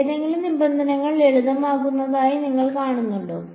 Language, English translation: Malayalam, Do any of the terms do you see them simplifying